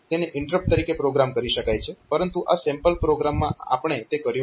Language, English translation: Gujarati, So, it can be programmed as interrupt, but in this sample programme so, we have not done that